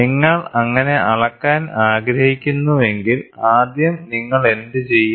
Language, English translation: Malayalam, If you want to measure so, first what do you do